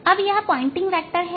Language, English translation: Hindi, now, this is the pointing vector